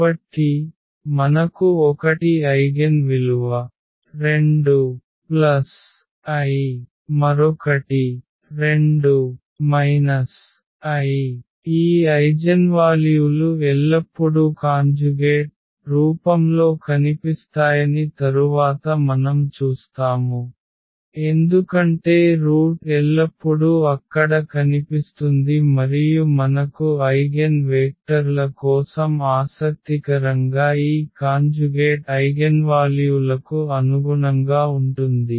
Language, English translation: Telugu, So, we have 1 eigen value 2 plus i another one is 2 minus i and we will see later on that these eigenvalues will always appear in conjugate form as the root always appears there and not only that we will have something more interesting for the eigenvectors corresponding to these conjugate eigenvalues